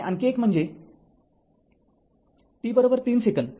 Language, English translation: Marathi, And another one is that at t is equal to 3 second